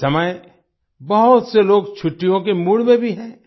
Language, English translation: Hindi, At this time many people are also in the mood for holidays